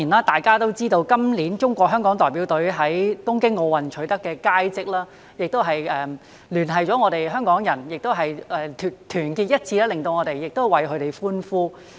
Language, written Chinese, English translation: Cantonese, 大家也知道，今年中國香港代表隊在東京奧林匹克運動會取得佳績，聯繫了香港人，亦令我們團結一致為他們歡呼。, As Members also know the Hong Kong China delegation has achieved distinguished results in the Tokyo Olympic Games this year which has brought Hong Kong people together and made us unite to cheer for them